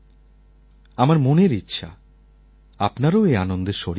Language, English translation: Bengali, I wish to share this joy with you as well